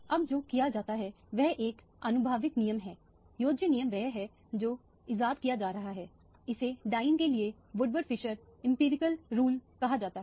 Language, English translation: Hindi, Now, what is done is an empirical rule is additive rule is what is being devised, this is called Woodward Fieser empirical rule for dienes